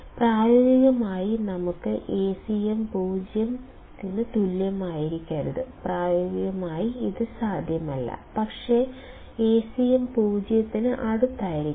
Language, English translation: Malayalam, So, practically we cannot have Acm equal to 0; practically this is not possible, but Acm can be close to 0